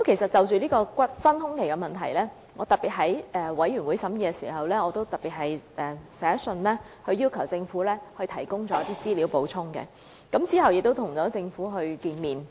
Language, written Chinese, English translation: Cantonese, 就這真空期問題，我特別在法案委員會審議時去信要求政府提供補充資料，後來亦曾與政府會面。, Concerning the vacuum period during the Bills Committees scrutiny of the Bill I wrote to the Government asking for additional information and I also met with government officials later